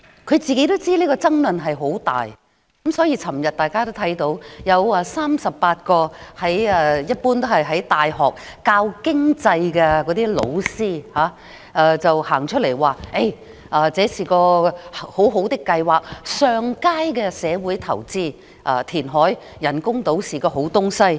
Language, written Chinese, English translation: Cantonese, 她也知道此事會引發大量爭議，所以大家昨天便看到38位在大學教授經濟學的教師表示這是很好的計劃、上佳的社會投資，填海建人工島是好事。, She also knows that it is hugely controversial . For this reason yesterday we saw 38 lecturers who are teaching economics in universities say that this is a good project a good social investment and that reclaiming land to build the artificial islands is a good initiative